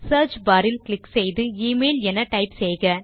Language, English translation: Tamil, Click on the search bar and type email